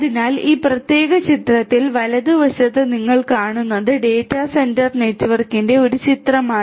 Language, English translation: Malayalam, So, on the right hand side what you see over here in this particular picture is and is a picture of a data centre network right